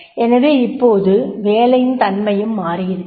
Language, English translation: Tamil, So now the job, the nature of job itself changed